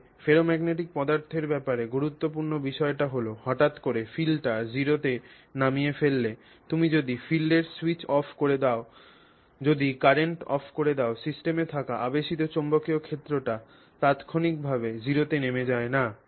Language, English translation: Bengali, So very high level of induction, okay, and so and importantly with respect to ferromagnetic materials if you switch off the field, if you abruptly drop the field to zero, you will switch off the current, the induction or the induced magnetic field that is there in the system does not actually drop to zero instantaneously